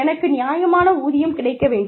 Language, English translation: Tamil, I should get fair pay